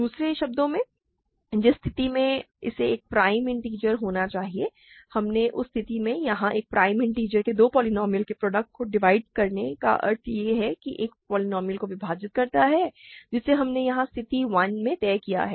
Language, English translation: Hindi, In other words in which case it has to be a prime integer and we did that case here a prime integer dividing a product of two polynomials easily implies that it divides one of the polynomials that we have settled here in case 1